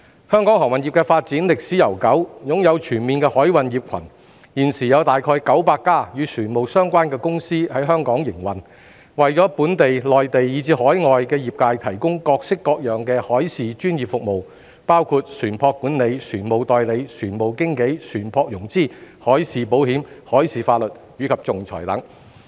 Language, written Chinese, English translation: Cantonese, 香港航運業的發展歷史悠久，擁有全面的海運業群，現時有大約900家與船務相關的公司在香港營運，為本地、內地，以至海外業界提供各式各樣的海事專業服務，包括船舶管理、船務代理、船務經紀、船舶融資、海事保險、海事法律及仲裁等。, This will in turn attract more ship owners shippers and merchandise traders to establish their presence in Hong Kong thereby achieving clustering effects and consolidating Hong Kongs position as an international maritime centre . With a long history of development Hong Kongs maritime industry is a full - fledged cluster . Currently there are around 900 shipping - related companies operating in Hong Kong providing a wide range of professional maritime services including ship management ship agency ship brokerage maritime financing maritime insurance maritime law and arbitration to the relevant sectors in Hong Kong the Mainland and foreign places